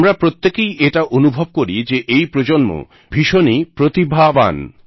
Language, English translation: Bengali, All of us experience that this generation is extremely talented